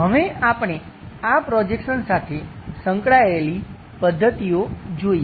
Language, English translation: Gujarati, Now, we will look at methods involved on these projections